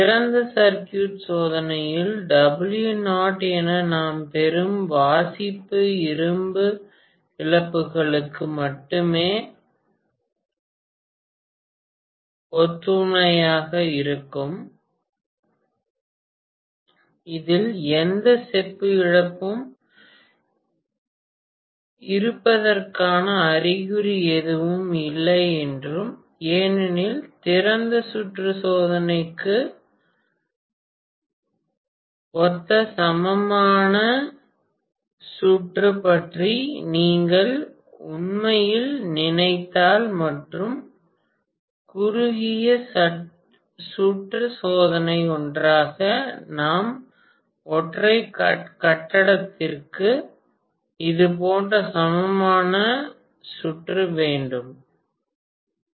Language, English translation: Tamil, We also said that in open circuit test the reading that we get as W naught is corresponding to only the iron losses, there is no indication of any copper loss in this, that is because if you actually think about the equivalent circuit corresponding to open circuit test and short circuit test together, I am going to have the equivalent circuit somewhat like this for the single phase transformer